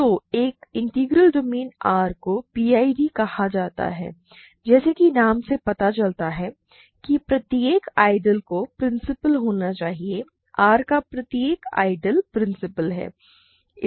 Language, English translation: Hindi, So, an integral domain is called a PID if every, as the name suggest every ideal must be principal; every ideal of R is principal